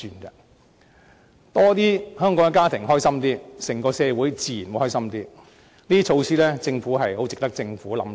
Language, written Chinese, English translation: Cantonese, 更多香港家庭感到開心，整個社會自然也比較歡樂，這些措施是十分值得政府考慮。, There will definitely be more happy faces in the entire society if there are more happy families in Hong Kong and these measures are indeed worth considering by the Government